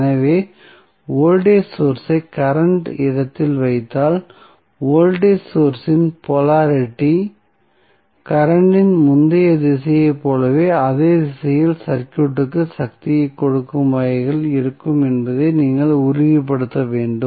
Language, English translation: Tamil, So, if you place the voltage source at current location, you have to make sure that the polarity of voltage source would be in such a way that it will give power to the circuit in the same direction as the previous direction of the current was